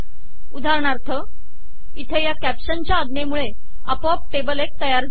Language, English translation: Marathi, For example, here table 1 has been created automatically by this caption command